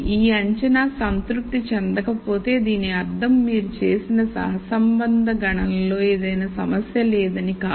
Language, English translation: Telugu, If this assumption is not satisfied this does not mean there is any problem with the correlation calculation that you have done